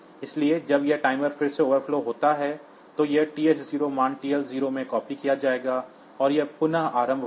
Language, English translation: Hindi, So, when this timer overflows then again, this TH 0 value will be copied into TL 0 and it will restart